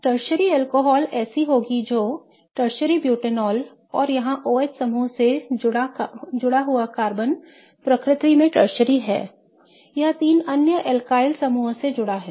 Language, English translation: Hindi, A tertiary alcohol will be such that tertiary butanol and the carbon here which is attached to the OH group is tertiary nature